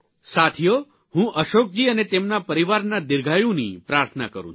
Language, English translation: Gujarati, Friends, we pray for the long life of Ashok ji and his entire family